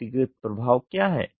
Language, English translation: Hindi, What is the individual effect